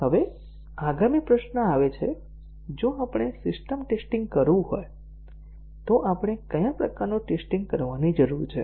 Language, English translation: Gujarati, Now, the next question that comes is, if we have to do the system testing, what sort of testing we need to do